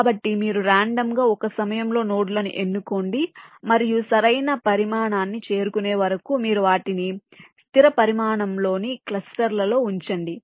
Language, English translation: Telugu, this says that you have a set of nodes, so you randomly select the nodes one at a time, and you go on placing them into clusters of fixed size until the proper size is reached